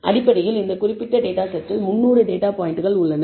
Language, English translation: Tamil, So, essentially this particular data set contains 300 data points